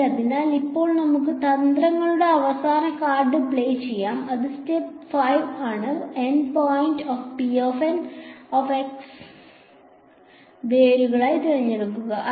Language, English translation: Malayalam, So, now let us play the final card of tricks which is step 5, is that if the N points are chosen to be the roots of p N x ok